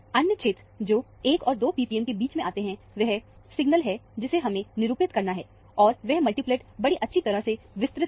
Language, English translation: Hindi, The other region, which is between 1 and 2 p p m, is the signal that we need to assign, and those multiplets are expanded nicely here